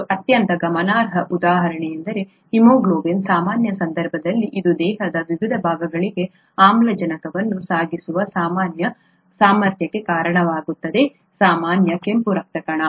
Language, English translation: Kannada, And a very striking example is the case of haemoglobin in the normal case it results in the normal ability to carry oxygen to various parts of the body, a normal red blood cell